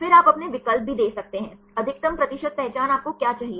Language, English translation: Hindi, Then you can also give your options; what is the maximum percent identity you want